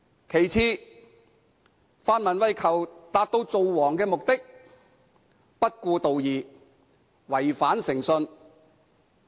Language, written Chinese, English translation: Cantonese, 其次，泛民為求達致"造王"的目的，不顧道義，違反誠信。, Second for the purpose of king making the pan - democrats disregarded righteousness and justice and acted in breach of good faith